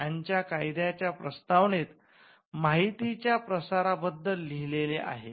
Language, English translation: Marathi, The preamble of the statute of Anne also had something on dissemination of information